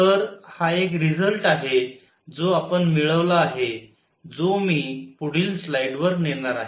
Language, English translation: Marathi, So, this is a result which we have got which I will through take to the next slide